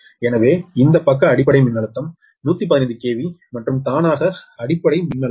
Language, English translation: Tamil, so this side base voltage is one one fifteen k v and automatically base voltage six point six k v is taken